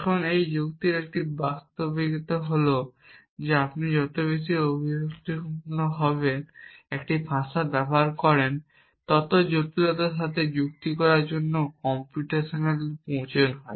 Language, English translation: Bengali, Now, this is a fact of logic is that the more expressive a language you device the more complex is the computational required to reason with that essentially so computational complexity increases with expressiveness